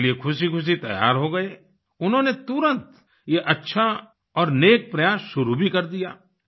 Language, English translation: Hindi, He happily agreed to the suggestion and immediately started this good and noble effort